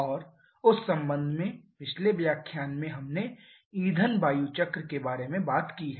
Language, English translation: Hindi, And in connection with that in the previous lecture we have talked about the fuel air cycle